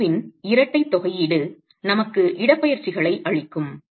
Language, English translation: Tamil, Double integration of that curvature can give us the displacements